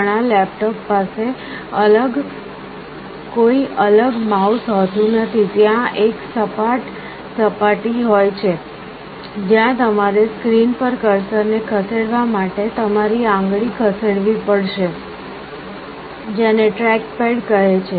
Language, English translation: Gujarati, Many of the laptops have no separate mouse; there is a flat surface, where you have to move your finger to move the cursor on the screen; that is called a trackpad